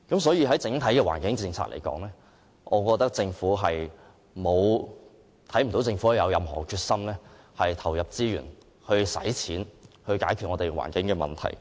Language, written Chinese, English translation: Cantonese, 所以，就整體環境政策而言，我看不到政府有任何決心投入資源，願意花錢解決香港的環境問題。, Hence as far as the overall environmental policy is concerned I did not see the Governments determination to inject resources and willingness to spend money to resolve Hong Kongs environmental problems